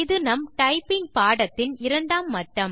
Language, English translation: Tamil, This will be the second level in our typing lesson